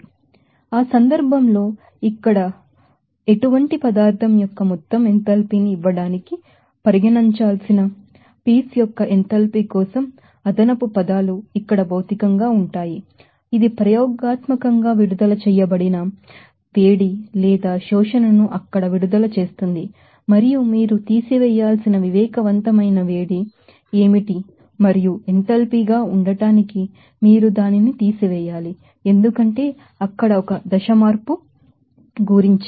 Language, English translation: Telugu, So, in that case, you know that additional terms for the enthalpy of the piece changes to be considered to give the total enthalpy of the substance like here the heat of formation will be physical to here that is experimentally obtained heat released or absorption there and what should be the sensible heat that you have to subtract and also you have to subtract that for to be the enthalpy is change because about a phase change there